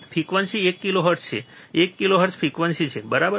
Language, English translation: Gujarati, Frequency is one kilohertz, one kilohertz is a frequency, alright